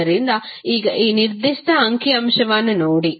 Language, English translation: Kannada, So, now look at this particular figure